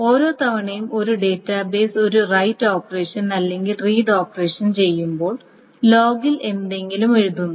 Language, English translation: Malayalam, And so every time a database does a right operation or read operation, something is being written to the log